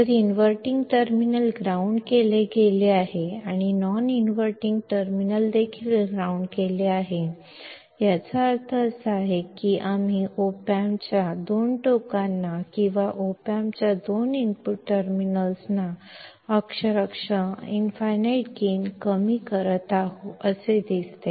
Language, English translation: Marathi, If inverting terminal is grounded and the non inverting is also grounded, that means, it looks like we are virtually shorting the two ends of the op amp or the two input terminals of the op amp